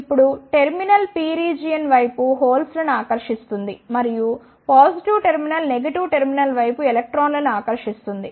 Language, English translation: Telugu, Now, the terminal will attract the holes toward the P region and the positive terminal will attract the electrons towards the negative terminal